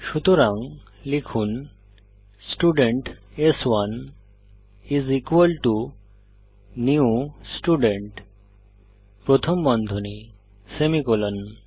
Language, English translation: Bengali, So type Student s1 is equal to new Student parentheses semicolon